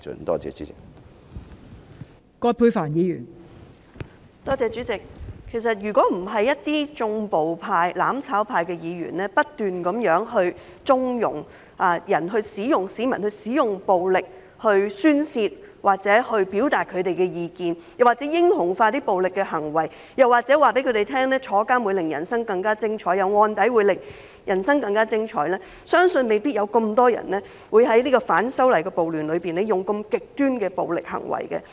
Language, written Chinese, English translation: Cantonese, 代理主席，如果不是一些"縱暴派"、"攬炒派"的議員不斷縱容市民使用暴力宣泄或表達意見，又或是英雄化暴力行為，告訴他們入獄會令人生更加精彩、有案底會令人生更加精彩，相信未必有這麼多人在反修例暴亂中作出如此極端的暴力行為。, Deputy President had those Members of the mutual destruction camp not kept on conniving at the use of violence by members of the public to vent their frustration or express their views heroizing them for their violent behaviour or telling them that being in jail or having a criminal record will make their life more exciting I believe that not so many people would have committed such extreme acts of violence in the riots against the legislative amendment